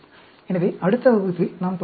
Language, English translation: Tamil, So, we will continue in the next class